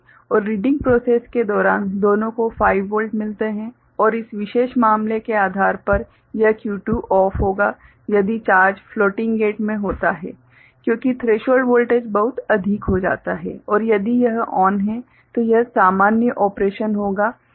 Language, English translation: Hindi, And during the reading process both of them get 5 volt and depending on this particular case this Q2 will be OFF if charge is there in the floating gate because the threshold voltage becomes much higher and if it is ON, then it will be the normal operations